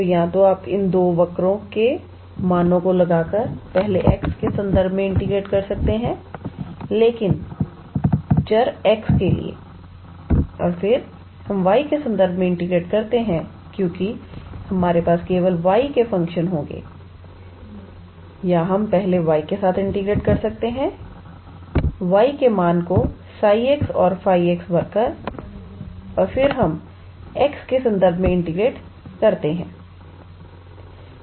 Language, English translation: Hindi, So, either you can integrate with respect to x first by putting the values of these two curves, but for the variable x and then, we integrate with respect to y at then because we will have only functions of y or we can first integrate with respect to y by putting, the values for y as psi x and phi x and then we integrate with respect to x